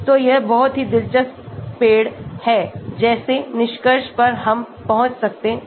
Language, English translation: Hindi, So, this is very interesting a tree like conclusion we can arrive at